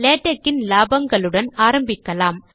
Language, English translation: Tamil, I would begin with the benefits of Latex